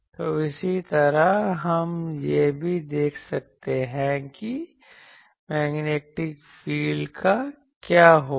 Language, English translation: Hindi, So, similarly we can also see that what will happen to the Magnetic field